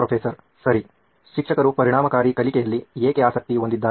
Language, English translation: Kannada, Okay, why would a teacher be interested in effective learning